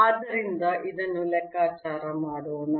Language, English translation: Kannada, so let us calculate this